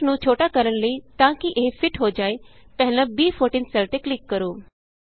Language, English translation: Punjabi, In order to shrink the text so that it fits, click on the cell referenced as B14 first